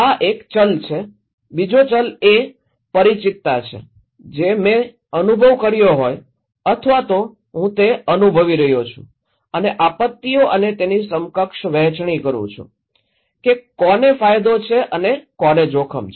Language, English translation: Gujarati, This is one variable, another variable is the familiarity, if I have experienced that one or if I am experiencing that and disasters and equitable sharing that who is benefit and who is a risk